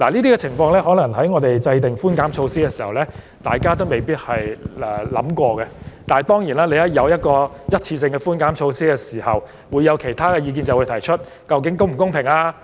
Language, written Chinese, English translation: Cantonese, 這點或許是在我們制訂寬減措施時不曾考慮的，但當然，只要政府推出任何一次性寬減措施，便會有人提出其他意見及質疑是否公平。, This question might have been omitted when the tax reduction measure was being formulated but of course whenever the Government introduces any one - off relief measures there will always be people who voice other opinions and query if the measures concerned are fair